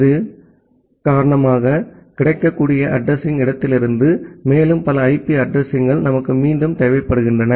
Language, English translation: Tamil, And because of that we again require further more number of IP addresses from the available address space